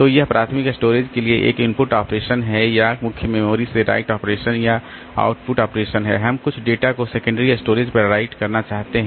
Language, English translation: Hindi, So, that is an input operation for the primary storage or it is a right operation or output operation from the main memory you want to write some data onto the secondary storage